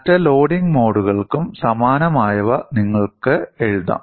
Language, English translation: Malayalam, You could write similar ones for other modes of loading as well